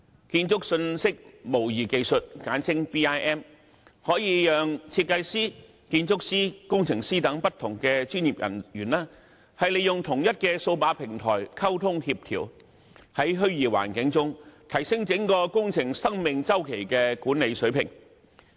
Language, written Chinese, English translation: Cantonese, 建築信息模擬技術可以讓設計師、建築師、工程師等不同專業人員利用同一數碼平台進行溝通和協調，在虛擬環境中提升整個工程生命周期的管理水平。, BIM technology enables communication and coordination among various professionals such as designers architects and engineers on the same digital platform enhancing the management of the whole project life cycle in a virtual environment